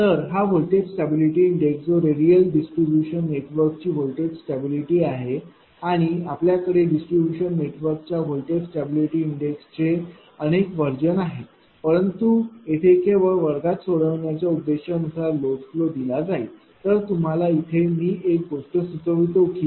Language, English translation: Marathi, So, this voltage stability index that is voltage stability of radial distribution network and whether it is for a your what you call ah if you there are many many other versions are there for voltage stability index right of distributed real distribution networks, but here only as per the classroom purpose we want to solve that is why for this thing suppose a load flow will be given ah I I will suggest one thing to you